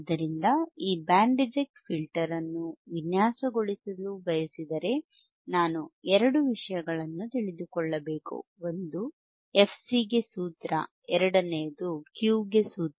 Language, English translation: Kannada, So, point is that, if I want to design this band reject filter, I should know two things, one is a formula for fC, second is formula for Q